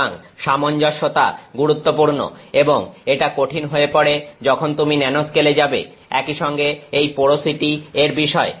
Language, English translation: Bengali, So, uniformity is important again that becomes difficult when you go to the nanoscale, also this issue of porosity